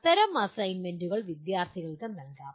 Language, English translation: Malayalam, Such assignments can be given to the students